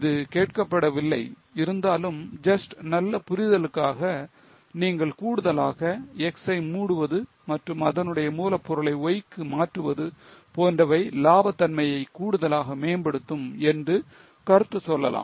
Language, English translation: Tamil, Though it is not asked just for better understanding, you may further comment that closure of X and transferring that raw material to Y will further improve the profitability